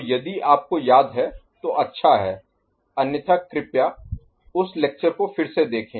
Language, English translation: Hindi, So, if you remember fine, otherwise please revisit that particular lecture